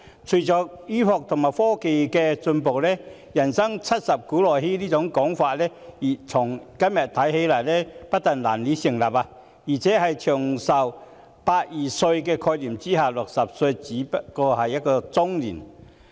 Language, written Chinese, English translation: Cantonese, 隨着醫學和科技進步，"人生七十古來稀"這說法今天不但難以成立，而且在"長命百二歲"的概念下 ，60 歲不過是中年。, With the advance in medicine and technology the old saying that a man rarely lives to the age of 70 is hardly valid today and under the concept of living a long life of 120 a person aged 60 is merely in his or her middle age . Yet in reality the labour market is seemingly lagging behind the development of such a concept